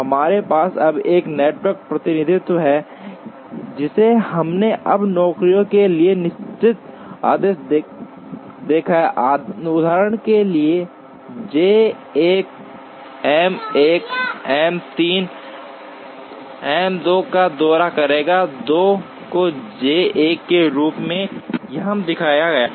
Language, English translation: Hindi, We also now have a network representation, which we have seen now the definite orders for the jobs, for example, J 1 will visit M 1 M 3 M 2 is Shown here as J 1